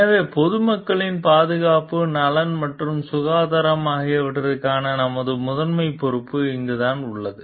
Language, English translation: Tamil, So, this is where our primary responsibility lies for the safety, welfare and health of the public at large